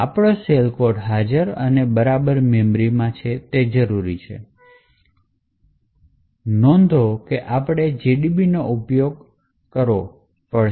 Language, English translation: Gujarati, So, we would require to know where exactly in memory the shell code is present and in order to notice we would need to use GDB